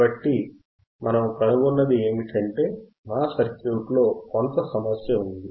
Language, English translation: Telugu, So, what we find is, there is some problem with our circuit